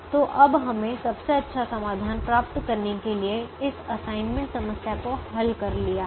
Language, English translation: Hindi, so we have now solved this assignment problem to get the best solution